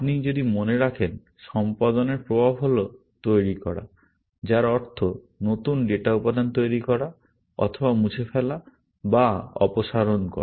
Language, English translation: Bengali, If you remember, the effect of execute is either, to make, which means to create new data elements, or to delete, or remove